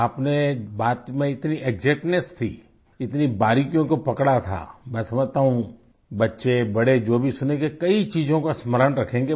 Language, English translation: Hindi, You had such exactness in narration, you touched upon so many fine details, I understand that children, adults whoever listens to this will remember many things